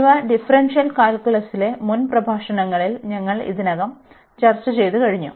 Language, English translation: Malayalam, So, we already discuss in previous lectures in differential calculus